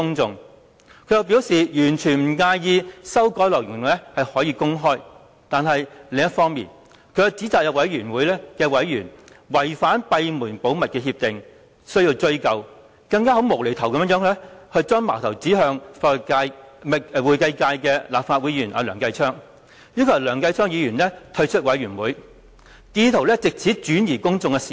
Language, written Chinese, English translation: Cantonese, 他又表示完全不介意公開修改內容，但卻指責有專責委員會委員違反閉門會議的保密協定，明言要追究，更"無厘頭"地把矛頭指向會計界的立法會議員梁繼昌，要求他退出專責委員會，意圖轉移公眾視線。, He even said that he did not mind disclosing details of the amendments but accused the Select Committee of breaching the confidentiality undertaking for closed meetings and vowed to pursue responsibility . He even for no reason at all pointed his finger at Legislative Council Member Mr Kenneth LEUNG from the accountancy sector and urged him to withdraw from the Select Committee in an attempt to divert public attention